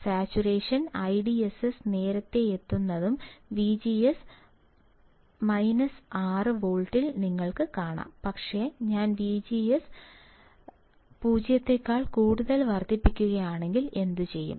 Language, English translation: Malayalam, You can see the saturation I DSS is reaching early and at V G S equals to minus 6 volt, you can see here it is almost call, but what if I increase V G S greater than 0 volt